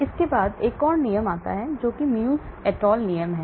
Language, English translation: Hindi, Then comes another rule that is Muegge et al rule